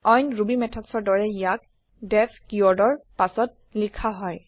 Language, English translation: Assamese, Like other Ruby methods, it is preceded by the def keyword